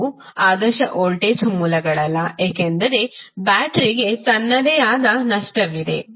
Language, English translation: Kannada, Although, those are not ideal voltage sources because battery has its own losses